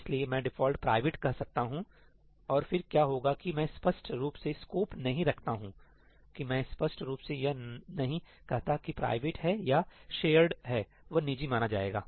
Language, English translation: Hindi, So, I can say ‘default private’ and then what will happen is that everything that I do not explicitly scope, that I do not explicitly say whether that’s private or shared, will be treated as private